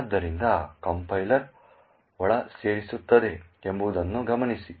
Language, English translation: Kannada, So, note this is what the compiler inserts